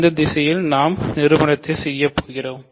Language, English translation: Tamil, So, we are done in this direction right